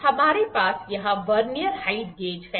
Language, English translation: Hindi, Now, we have Vernier Height Gauge here